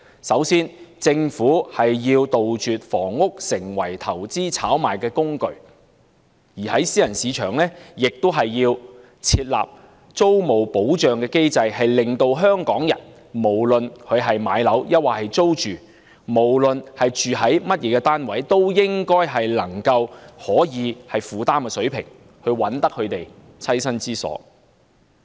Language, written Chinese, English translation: Cantonese, 首先，政府要杜絕房屋成為投資炒賣的工具，並且為私人市場設立租務保障機制，讓香港人不論置業或租住，不論居於甚麼單位，均可按能夠負擔的水平覓得棲身之所。, In the first place the Government should eradicate the practice of treating housing as a tool of investment and speculative activities . A tenancy protection mechanism should also be established for the private market so that Hong Kong people can find affordable homes no matter they are purchasing their own flats or renting flats and regardless of the types of flats they are living in